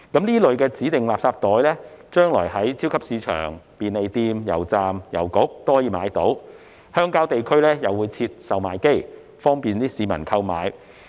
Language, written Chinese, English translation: Cantonese, 這類指定垃圾袋將來可以在超級市場、便利店、油站和郵局購買，鄉郊地區亦會設置售賣機，方便市民購買。, These designated garbage bags will be available for sale at supermarkets convenience stores gas stations and post offices whereas vending machines will also be placed in rural areas to facilitate members of the public to purchase these bags